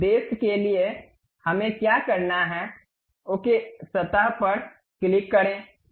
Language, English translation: Hindi, For that purpose what we have to do, click ok the surface